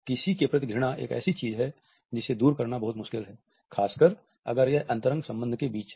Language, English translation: Hindi, Hate towards someone is something that is very hard to overcome, especially if it is between an intimate relationship